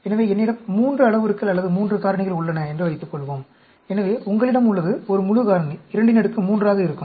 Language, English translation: Tamil, So, suppose I have 3 parameters or 3 factors, so you have, a full factorial will be 2 power 3